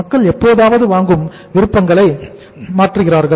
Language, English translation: Tamil, People sometime change the buying options